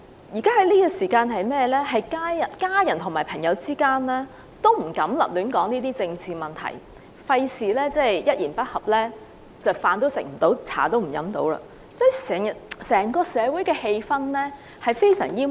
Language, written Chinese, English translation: Cantonese, 現時，家人和朋友之間都不敢提及政治問題，以免一言不合，飯也吃不了，茶也喝不成，整個社會的氣氛非常煩悶。, At present families and friends dare not talk about political issues during mealtime or coffee time fearing that they will fall out with each other should any dispute arise . The atmosphere of the entire society has become very depressed